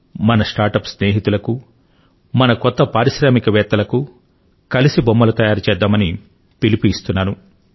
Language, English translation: Telugu, To my startup friends, to our new entrepreneurs I say Team up for toys… let us make toys together